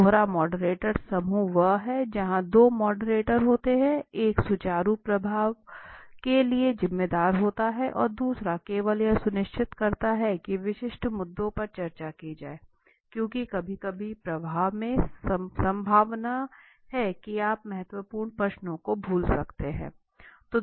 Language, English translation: Hindi, Dual moderator group is where two moderators are there, one is responsible for the smooth flow and the other only ensures that the specific issues are discussed because sometimes in a flow, there is the possibility that you might missed the important question